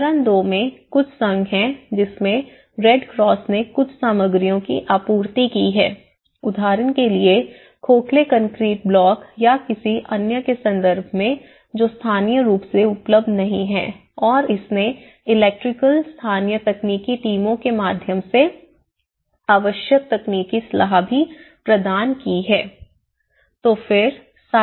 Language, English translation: Hindi, In the stage two, there are associations the Red Cross supplied some materials, like for example in terms of hollow concrete blocks or any other which are not locally available and it also have provided the necessary technical advice through the electric local technical teams